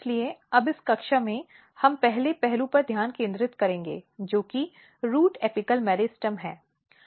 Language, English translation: Hindi, So, now in in this class, we will focus on the first aspect and which is root apical meristem